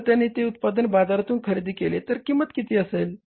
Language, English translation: Marathi, If they buy it ready made from the market, what is the cost